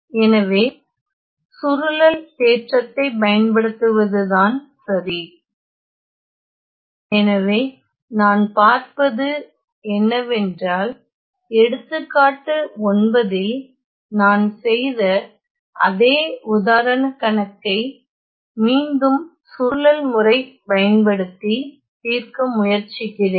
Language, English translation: Tamil, So, using convolution theorem ok; so what I see is that again let me try to solve the same problem that I did in example 9 using the method of convolution